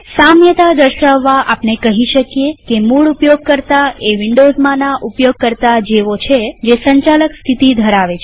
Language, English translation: Gujarati, To draw an analogy we can say a root user is similar to a user in Windows with Administrator status